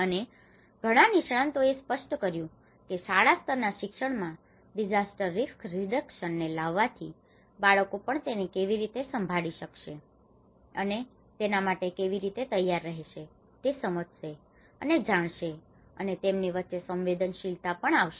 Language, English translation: Gujarati, And even many other experts have pointed out that this has to bring that a disaster risk reduction at a school level education so that children will understand the realization of how they can handle it, how they can prepare for it, and it also brings sensitivity among the kids